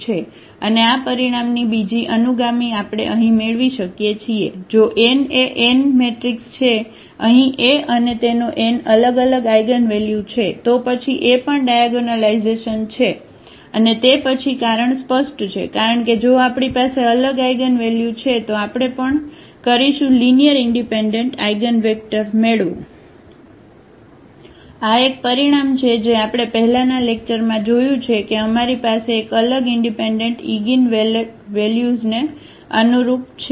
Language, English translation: Gujarati, And another subsequence of this result we can we can have here if n is an n cross n matrix here A and it has n distinct eigenvalues, then also A is diagonalizable and then reason is clear, because if we have n distinct eigenvalues, then we will also get n linearly independent eigenvectors; that is a result we have already seen in previous lecture that corresponding to distinct eigenvalues we have a linearly independent eigenvectors